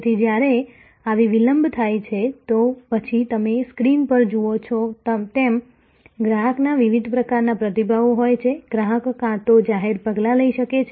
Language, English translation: Gujarati, So, when such a lapse up, then as you see on the screen, the customer has different sorts of responses, the customer may either take some public action